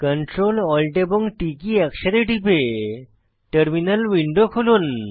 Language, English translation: Bengali, Open the terminal by pressing Ctrl, Alt and T keys simultaneously